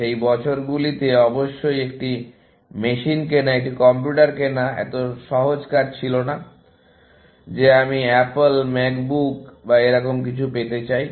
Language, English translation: Bengali, In those years, of course, buying a machine, a computer was not such a straight forward task as saying that I want Apple, Mac book or something like that